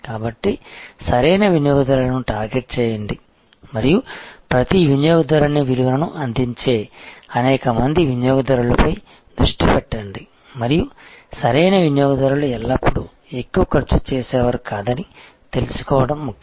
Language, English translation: Telugu, So, target the right customers and focus on number of customers served in value of each customer and this right customer is important to know that the right customers are not always the high spenders